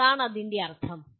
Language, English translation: Malayalam, What is the meaning of …